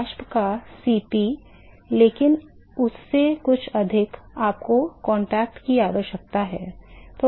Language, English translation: Hindi, Cp of the vapor, but something more than that, you need to have a contact right